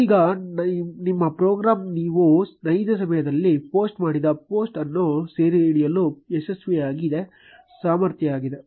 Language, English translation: Kannada, Now your program has been successfully able to capture the post, which you posted in real time